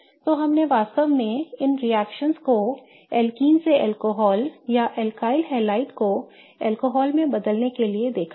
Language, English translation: Hindi, So, we have really seen these many reactions to convert either alkenes to alcohols or to convert alkaliads to alcohols